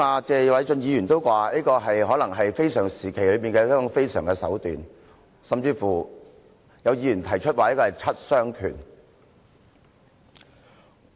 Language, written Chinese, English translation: Cantonese, 謝偉俊議員剛才也說這可能是非常時期的非常手段，有議員甚至說這是七傷拳。, Mr Paul TSE said earlier that this might be an extraordinary measure taken at an extraordinary time and a Member even compared it to the seven damaging fists